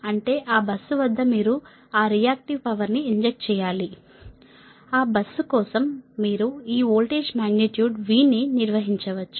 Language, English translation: Telugu, that means at that bus you have to inject that reactive power such that you can maintain this voltage, magnitude v for that bus